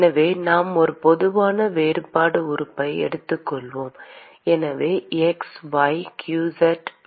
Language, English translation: Tamil, So, let us take a general differential element; so x, y